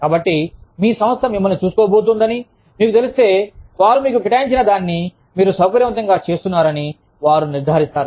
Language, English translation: Telugu, So, if you know, that your organization is going to look after you, they will make sure, that you are comfortable in doing, whatever they have assigned you